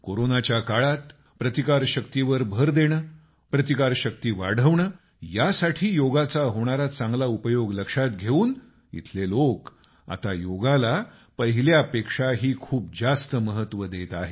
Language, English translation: Marathi, In these times of Corona, with a stress on immunity and ways to strengthen it, through the power of Yoga, now they are attaching much more importance to Yoga